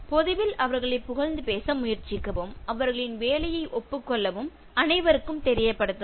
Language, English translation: Tamil, Try to praise them in public and acknowledge their work, make it known to all